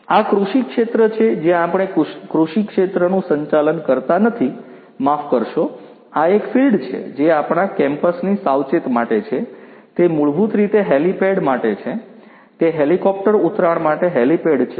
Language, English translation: Gujarati, This is this agricultural field where we conduct not the agricultural field sorry this is a this is the field which is little outskirts of our campus, it is basically for helipad; it is a helipad for helicopter landing